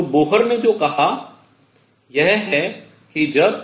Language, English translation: Hindi, So, what Bohr said is that when